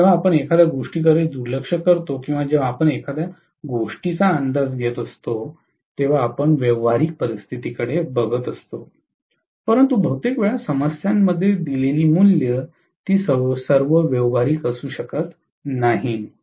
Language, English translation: Marathi, And when we neglect something or when we approximate something we look at the practical conditions but most of the time the values given in the problems may not be all that practical, that is also there